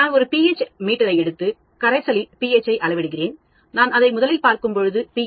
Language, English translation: Tamil, I take a pH meter and measure the pH of a solution, I dip it inside, I get a pH of 3